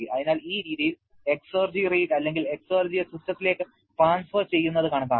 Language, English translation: Malayalam, So, this way exergy rate or transfer of exergy into system can be calculated